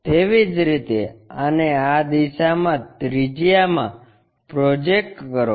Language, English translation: Gujarati, Similarly, project this one radially in that direction